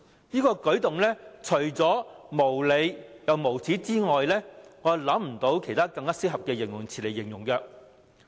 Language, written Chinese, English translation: Cantonese, 這個舉動除了無理、無耻之外，沒有其他更合適的形容詞。, To describe this move no adjective would be more suitable than unreasonable and shameless